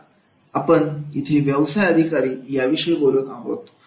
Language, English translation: Marathi, Now here we talk about the business executives